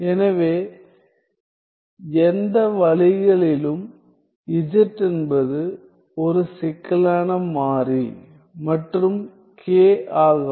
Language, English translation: Tamil, So, any ways z is a complex variable and